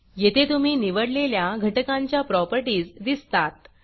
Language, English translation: Marathi, This shows you the properties of the components as you choose them